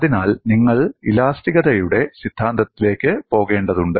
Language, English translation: Malayalam, Let us now look at review of theory of elasticity